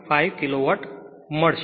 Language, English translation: Gujarati, 5 kilo watt right